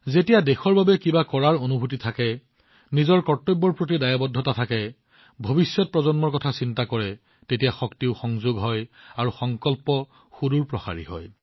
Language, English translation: Assamese, When there is a deep feeling to do something for the country, realize one's duties, concern for the coming generations, then the capabilities also get added up, and the resolve becomes noble